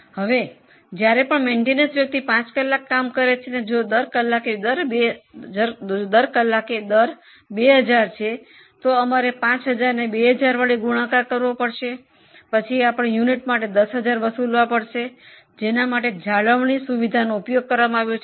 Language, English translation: Gujarati, Now whenever maintenance person is called and suppose works for five hours and rate per hour is 2000, then 5 into 2,000 we will be able to charge 10,000 for the unit which has used maintenance facility